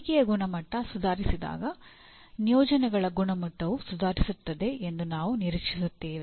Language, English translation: Kannada, When quality of learning is improved we expect the quality of placements will also improve